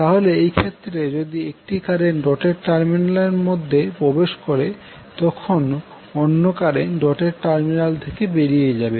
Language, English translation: Bengali, So in case, if one current enters the dotted terminal while the other leaves the other dotted terminal